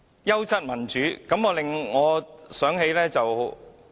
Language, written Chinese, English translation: Cantonese, "優質民主"一詞，令我想到一些事。, The term quality democracy reminds me of something